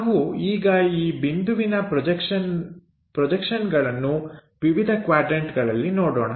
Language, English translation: Kannada, So, let us look at these projections of points on different quadrants